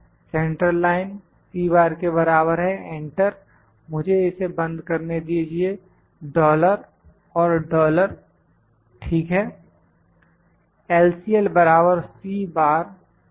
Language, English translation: Hindi, Central line is equal to C bar enter let me lock it dollar and dollar, ok